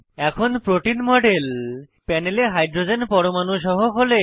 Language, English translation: Bengali, The model of protein on the panel is shown without hydrogens atoms